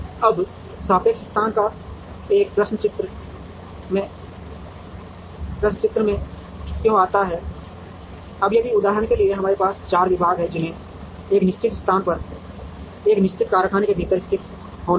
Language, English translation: Hindi, Now, why does a question of relative location come into the picture, now if for example, we have 4 departments that have to be located within a certain place or within a certain factory